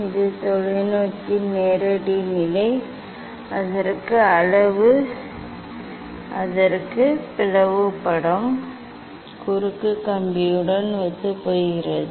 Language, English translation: Tamil, this is the direct position of the telescope where the slit image coincides with the cross wire